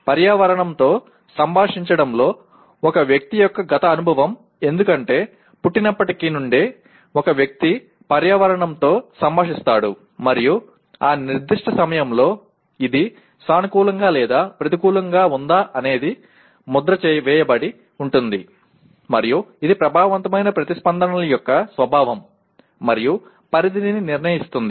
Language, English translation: Telugu, A person’s past experience in interacting with the environment because right from the time of birth, a person is interacting with environment; and whether it is positive or negative at that particular point keeps on getting imprinted and that is what decides the nature and scope of affective responses